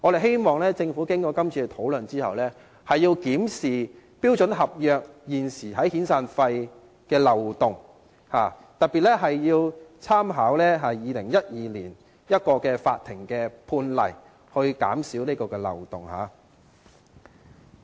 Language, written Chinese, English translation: Cantonese, 經過今次討論後，我們希望政府會檢視標準合約現時在遣散費方面的漏洞，特別要參考2012年一宗法庭判例，以堵塞漏洞。, We hope that after this discussion the Government will review the existing loopholes in the standard contract with regard to severance payments . It should particularly draw reference from a court precedent in 2012 to plug the loopholes